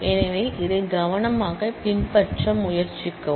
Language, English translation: Tamil, So, please try to follow this carefully